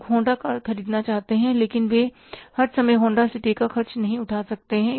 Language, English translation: Hindi, People want to buy Honda cars but they cannot afford all the times Honda City